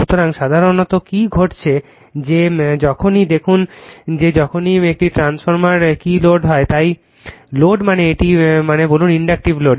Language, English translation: Bengali, So, generally what happened that whenever look at that whenever a transformer your what you call is loaded, so load means say it load means say inductive load